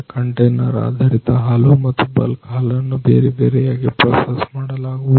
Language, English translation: Kannada, In the processing of this container based milk and also the bulk milk it is done separately ah